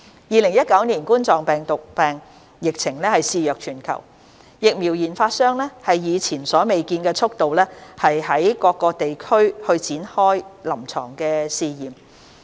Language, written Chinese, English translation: Cantonese, 2019冠狀病毒病疫情肆虐全球，疫苗研發商以前所未見的速度於多個地區開展臨床試驗。, The COVID - 19 epidemic is wreaking havoc around the world and vaccine developers are launching clinical trials in various regions at unprecedented speed